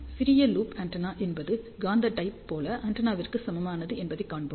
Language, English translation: Tamil, We will see that small loop antenna is equivalent to magnetic dipole antenna